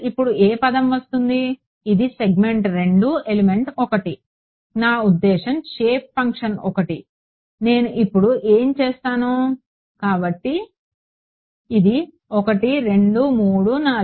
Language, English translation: Telugu, k squared, what term will come now this is segment 2 element 1; I mean shape function 1, what will I come now so, this is 1 2 3 4